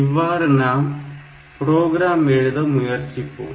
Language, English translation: Tamil, So, the program that will try to write is like this